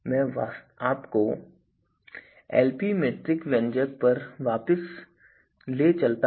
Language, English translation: Hindi, So, let me take you back to the Lp metric expression